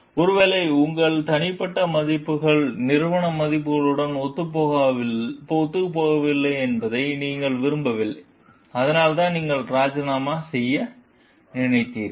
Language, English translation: Tamil, You could not like maybe your personal values were not in tune with the organizational values like that is why you thought of resigning